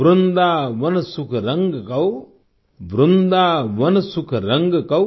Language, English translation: Hindi, Vrindavan sukh rang kau, Vrindavan sukh rang kau